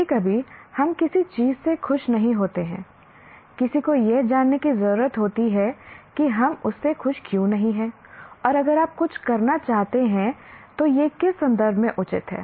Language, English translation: Hindi, Sometimes if you are not happy with something, one needs to know why are we not happy with that and if you want to do something, is it appropriate in what context